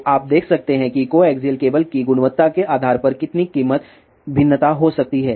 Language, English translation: Hindi, So, you can see that how much price variation can be there depending upon the quality of the coaxial cable